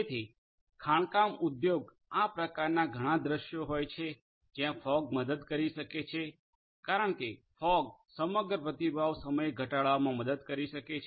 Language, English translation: Gujarati, So, mining industry finds lot of these scenarios where fog can help, because fog can help in reducing the overall response time